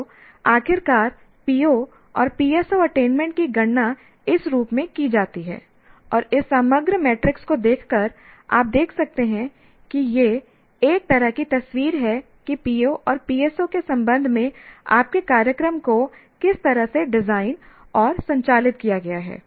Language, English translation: Hindi, So finally the PO and PSO attainments are computed in this form and by looking at this overall matrix that you can see it is a it's a kind of a picture of how your program has been designed and conducted with respect to the P